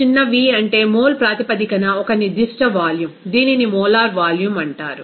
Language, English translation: Telugu, So, small v that is a specific volume in mole basis that is called molar volume